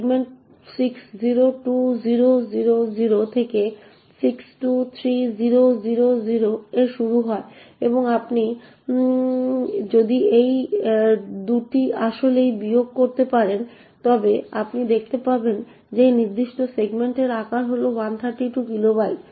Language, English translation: Bengali, Segment starts at 602000 to 623000 and if you can actually subtract these 2 you would see that the size of this particular segment is 132 kilobytes